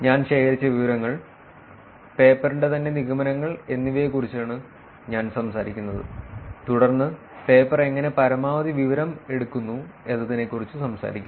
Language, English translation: Malayalam, And I am talking about what information was collected, and a little bit of conclusions of the paper itself, and then talking about how the paper is out maxed